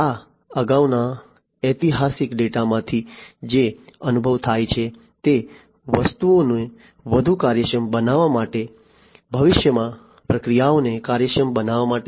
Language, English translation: Gujarati, The experience that is generated from this previous historical data to make things much more efficient, to make processes efficient in the future